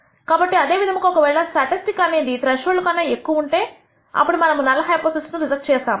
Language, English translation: Telugu, So, similarly if the statistic is greater than a threshold then we reject the null hypothesis